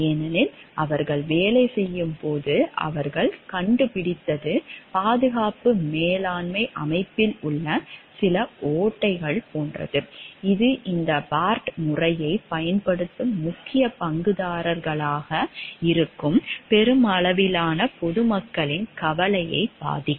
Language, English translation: Tamil, Because what they have discovered in the course of their working is like some loopholes in the safety management system which would have affected the concern for the greater public at large who will be the main stakeholders who will be using this Bart system